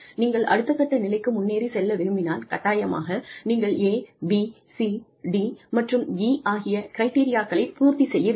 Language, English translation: Tamil, If you want to move on to the next level, you must fulfil criteria A, B, C, D and E